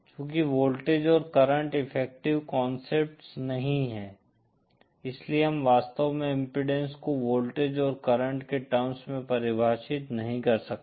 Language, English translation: Hindi, Since voltage and current are not effective concepts we really cannot define impedance in terms of voltage and current always